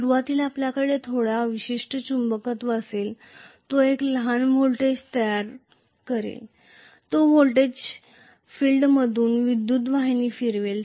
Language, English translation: Marathi, Initially, you will have some residual magnetism, it will produce a small voltage, that voltage will circulate a current through the field